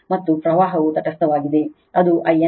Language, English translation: Kannada, And current is the neutral that is I n right